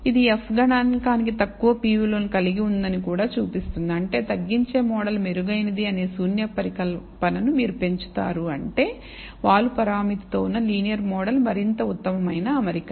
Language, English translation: Telugu, It also shows that the f statistic has also a low p value which means, you raise the null hypothesis that reduce model is adequate which means the linear model with the slope parameter is a much better fit